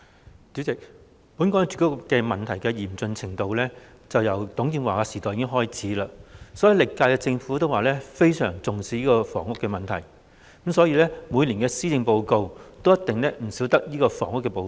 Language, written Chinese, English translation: Cantonese, 代理主席，本港住屋問題嚴峻，由董建華時代已開始，歷屆政府均表示非常重視房屋問題，因此每年的施政報告也一定少不了房屋這部分。, Deputy President the housing problem in Hong Kong has been serious . Since the era of TUNG Chee - hwa all the previous Governments said that great importance was attached to housing problem housing has become an essential part of the policy address every year